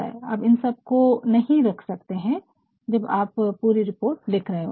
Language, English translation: Hindi, Now all these cannot be put, when you are writing are the entire report